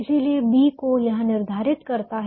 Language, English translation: Hindi, so b is given by this